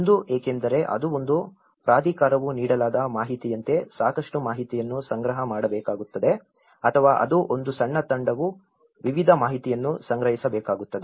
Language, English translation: Kannada, One is because it’s one authority has to compile a lot of information as a given if it is an authority or it is a small team has to collect a variety of information